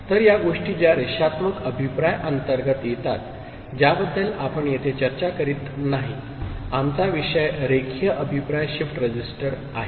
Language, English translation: Marathi, So, these are the things that come under non linear feedback which we are not discussing here; our topic is Linear Feedback Shift Register